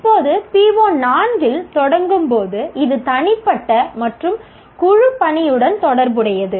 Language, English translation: Tamil, Now starting with PO4, the PO4 is related to individual and teamwork